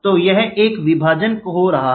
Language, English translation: Hindi, So, there is a split happening